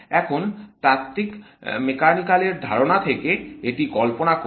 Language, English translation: Bengali, Now, visualize this from the classical mechanical sense